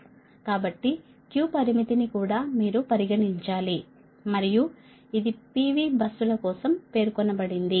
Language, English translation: Telugu, so q limit also you have to consider, and it has to be specified for p v buses, right